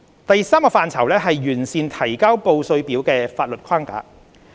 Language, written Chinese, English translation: Cantonese, 第三個範疇是完善提交報稅表的法律框架。, The third one is the enhancement of the statutory framework for the filing of tax returns